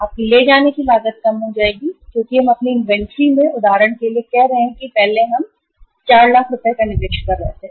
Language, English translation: Hindi, Your carrying cost will go down because we have we were investing say for example into our inventory we were investing earlier 4 lakh rupees